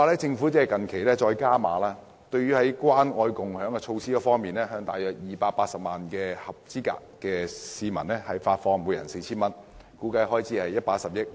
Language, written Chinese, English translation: Cantonese, 政府最近更決定加碼，在關愛共享措施方面，向約280萬名合資格人士每人發放 4,000 元，估計開支為110億元。, Recently the Government has even decided to launch an additional initiative under the Caring and Sharing Scheme so that 2.8 million eligible persons will receive 4,000 each and the expenditure thus incurred is estimated to be 11 billion